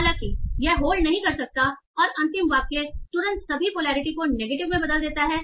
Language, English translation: Hindi, And the last sentence immediately turns all the polarity to negative